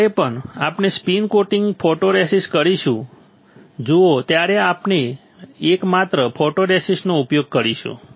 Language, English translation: Gujarati, Whenever we are spin coating photoresist we will use one mask see photoresist